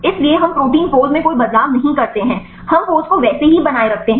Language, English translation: Hindi, So, we do not make any changes in protein pose, we keep the pose as it is